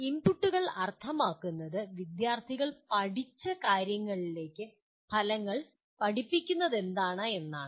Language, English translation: Malayalam, Inputs would mean what material is taught to the outcomes to what students have learned